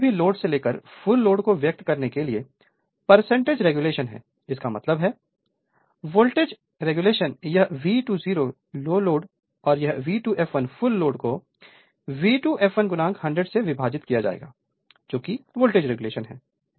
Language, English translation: Hindi, So, from no load to full load expressed as percentage of it is rated voltage right; that means, voltage regulation is this is your V 2 0 the low load and this is V 2 f l the full load divided by V 2 f l into 100, this is the voltage regulation